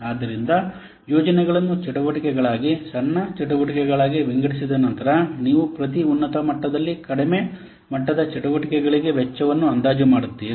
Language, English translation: Kannada, So, after breaking the projects into activities, smaller activities, then you estimate the cost for the lowest level activities